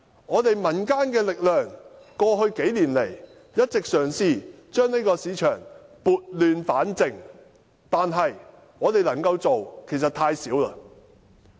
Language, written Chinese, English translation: Cantonese, 過去幾年來，我們民間的力量一直嘗試將這個市場撥亂反正，但我們可以做到的其實太少。, Over the past few years we have been making efforts in the community to pull this market back onto the right track but what we can do is actually too little